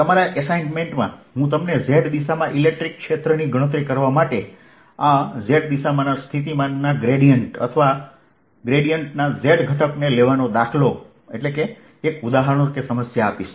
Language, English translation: Gujarati, as simple as that in your assignment i will give you a problem: to calculate the electric field in that z direction, at z, by taking gradient of this potential in this z direction, or or the z component of the gradient